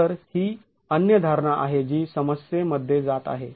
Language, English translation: Marathi, So that's the other assumption that goes into the problem